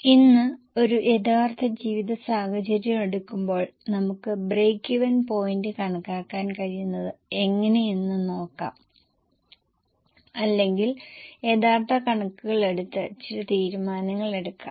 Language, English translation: Malayalam, Today, let us see how taking a real life scenario we are able to compute break even point or we are able to make some decisions taking the real figures